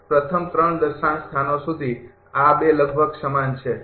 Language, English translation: Gujarati, Up to first 3 decimal places this 2 are almost same right